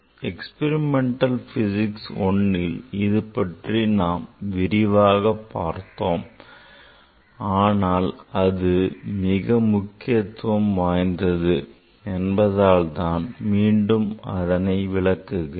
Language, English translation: Tamil, I have actually in experimental physics one I have I have discussed, but I again repeat because this is very important